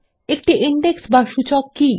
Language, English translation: Bengali, What is an Index